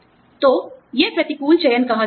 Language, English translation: Hindi, So, that is called, adverse selection